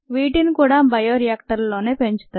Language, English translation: Telugu, these are grown in large bioreactors